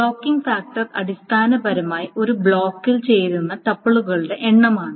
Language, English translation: Malayalam, So the blocking factor is essentially the number of tuples that fit in a block